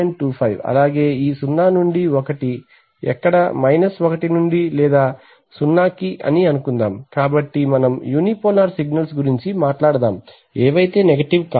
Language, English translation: Telugu, 25, so this 0 to 1 where 1 to or let us say 0 to, let us talk about unipolar signals not negative